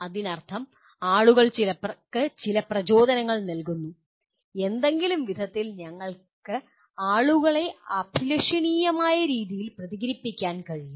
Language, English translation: Malayalam, That means people are given some stimuli and they respond in some way by conditioning we can make people to respond in a desirable way